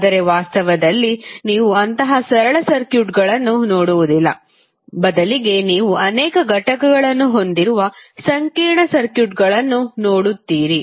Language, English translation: Kannada, But in reality you will not see simple circuits rather you will see lot of complex circuits having multiple components of the sources as well as wires